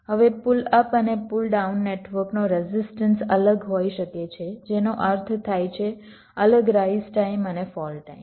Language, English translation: Gujarati, now the resistances of the pull up and pull down network may be different, which means different rise time and fall times